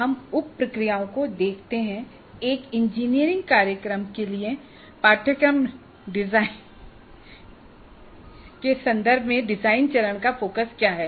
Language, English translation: Hindi, We look into the sub processes, what is the focus of the design phase in terms of course design for an engineering program